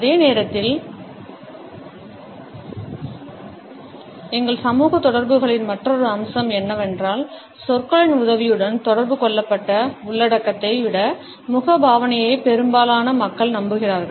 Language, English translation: Tamil, At the same time another aspect of our social interaction is the fact that most people believe the facial expression more than the content which has been communicated with the help of words